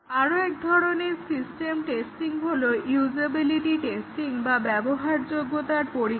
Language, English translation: Bengali, One more type of system testing is the usability testing